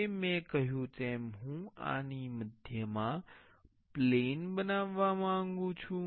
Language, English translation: Gujarati, Now, as I said I want to make a plane in the center of this